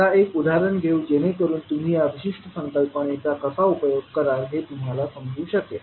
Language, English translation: Marathi, Now let us take one example so that you can understand how will you utilise this particular concept